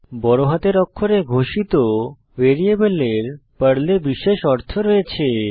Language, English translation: Bengali, Variables declared with CAPITAL letters have special meaning in Perl